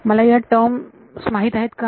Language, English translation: Marathi, Do I know this term